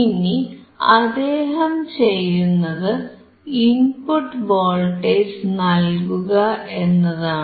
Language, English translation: Malayalam, So, he is applying the input voltage